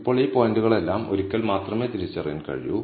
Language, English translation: Malayalam, Now, all these points can be identified only once